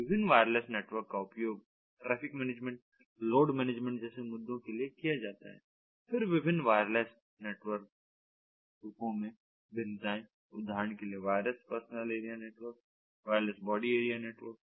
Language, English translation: Hindi, the different wireless networks are used, issues such as traffic management, load management, ah then variations in the different wireless network forms, for example, wireless [pa/personal] personal area network w turn versus wireless body area network